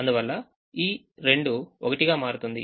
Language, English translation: Telugu, so two becomes three